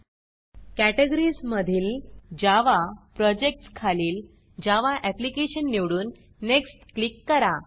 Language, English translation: Marathi, Under Categories , select Java, under Projects select Java Application and click Next